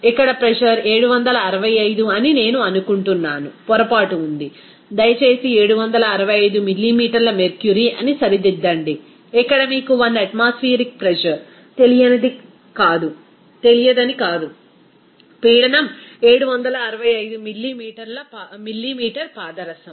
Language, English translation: Telugu, Here pressure is I think is 765 here, there is a mistake, that you please correct it that 765 millimeter mercury, here it will be not that you know 1 atmospheric pressure, the pressure is 765 millimeter mercury